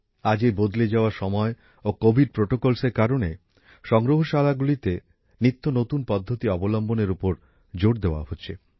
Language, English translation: Bengali, Today, in the changing times and due to the covid protocols, emphasis is being placed on adopting new methods in museums